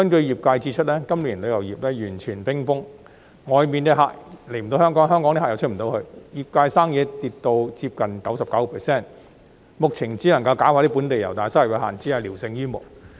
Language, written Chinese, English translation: Cantonese, 業界指出，今年旅遊業完全冰封，外面的旅客無法來港，香港旅客亦無法外出，業界生意下跌接近 99%， 目前只能搞本地遊，但收入有限，只是聊勝於無。, While inbound tourists cannot come to Hong Kong Hong Kong people cannot visit other places either . The business of the industry has dropped by nearly 99 % . At present they can merely engage in local tourism and the income so generated is limited but only better than nothing